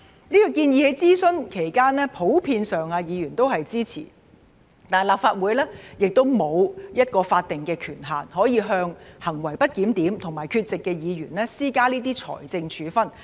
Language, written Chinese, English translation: Cantonese, 這項建議在諮詢期間，議員普遍也是支持的，但立法會沒有一個法定權限向行為不檢點和缺席的議員施加這些財政處分。, Although Members in general were supportive of this proposal during the consultation period the Legislative Council does not have the statutory authority to impose these financial penalties on misbehaved and absent Members